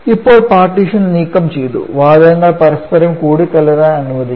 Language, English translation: Malayalam, Now, the partition has been removed allowing the gases to mix with each other